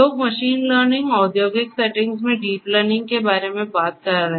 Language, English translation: Hindi, So, people are talking about machine learning, deep learning in the industrial settings